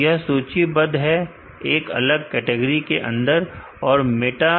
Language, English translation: Hindi, So, they are listed under separate category and the meta